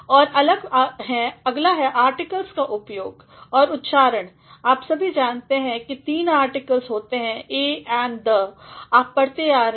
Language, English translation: Hindi, And, next is the use of articles and pronounce; all of you know that there are three articles a, an, the; you have been reading